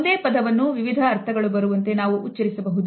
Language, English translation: Kannada, We can pronounce the same word in order to convey different types of meanings